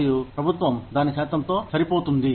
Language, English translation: Telugu, And, the government, matches a percentage of it